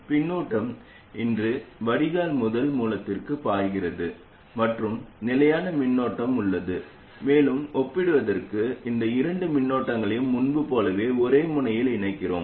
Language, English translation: Tamil, The current is flowing here from drain to source and the fixed current source is there and to make the comparison we tie these two currents to the same node